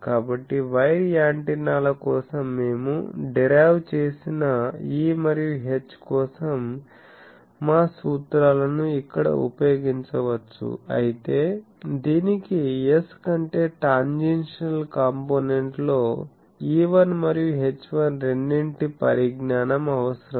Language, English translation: Telugu, So, our formulas for E H that we derived for wire antennas can be used here, but this requires knowledge of both E1 and H1 in tangential component over S